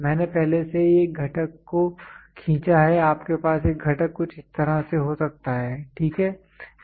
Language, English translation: Hindi, I already drew a component you can have a component something like this, ok